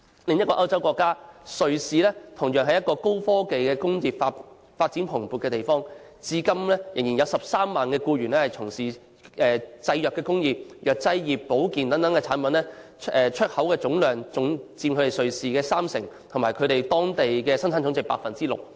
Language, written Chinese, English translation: Cantonese, 另一個歐洲國家瑞士同樣是一個高科技工業發展蓬勃的地方，至今仍有約13萬僱員從事製藥工業，藥劑、保健等產品出口量佔總出口量三成，產值佔當地生產總值的 6%。, Another European country Switzerland is also a place where high - technology industries are thriving . There are still about 130 000 employees in the pharmaceutical industry and the export of pharmaceutical and health products accounts for 30 % of the total exports and the output value accounts for 6 % of its Gross Domestic Product